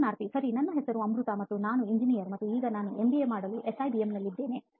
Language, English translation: Kannada, Okay, my name is Amruta and I am an engineer and now I am here in SIBM to do my MBA